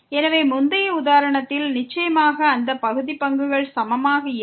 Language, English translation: Tamil, So, in the previous example definitely those partial derivatives were not equal